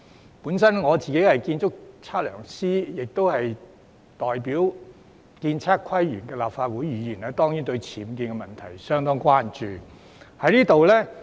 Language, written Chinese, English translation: Cantonese, 我本身是建築測量師，亦是代表建築、測量、都市規劃及園境界功能界別的議員，我當然對僭建問題相當關注。, As an architect and surveyor and also a Member representing the Architectural Surveying Planning and Landscape functional constituency I am certainly rather concerned about the issue of UBWs